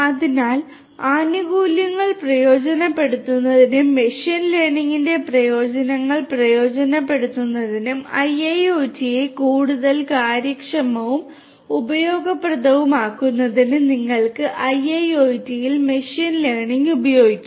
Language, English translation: Malayalam, So, you could use machine learning in IIoT in order to harness the benefits, utilize the benefits of machine learning and make IIoT much more efficient and useful